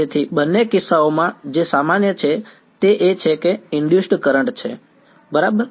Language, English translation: Gujarati, So, in both cases what is common is that there is an induced current right